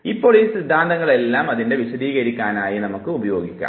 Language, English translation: Malayalam, Now all these theories can be used to explain it